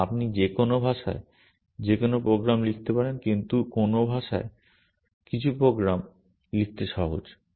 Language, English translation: Bengali, And you can write any program in any language, but in some languages some programs are simpler to write